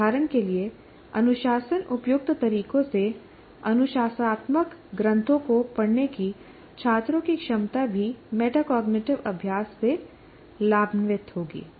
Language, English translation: Hindi, For instance, students' ability to read disciplinary texts in discipline appropriate ways would also benefit from metacognitive practice